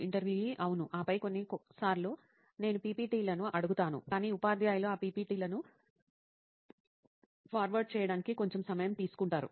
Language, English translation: Telugu, Yeah, and then sometimes I ask for the PPTs but what happens that teachers take a bit little time to forward those PPTs